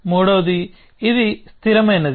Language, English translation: Telugu, The third is, it is static